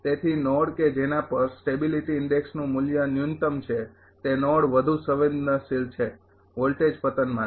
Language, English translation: Gujarati, Therefore, node at which the value of the sensitivity sensitivity index is minimum that node is more sensitive the voltage collapse